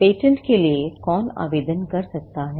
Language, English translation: Hindi, Who can apply for patents